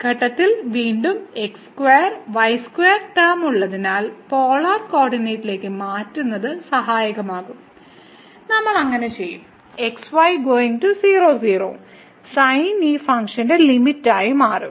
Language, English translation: Malayalam, So, at this point again because square square term is there, changing to polar coordinate will be helpful and we will do so the limit goes to sin this given function will be changed to as limit to 0